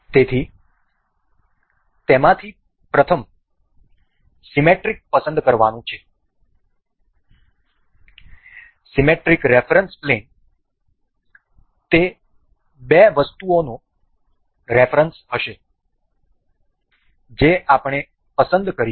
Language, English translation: Gujarati, So, first one of them is to select the symmetric; the symmetry plane of reference that that would be the reference for the two items that we will be selecting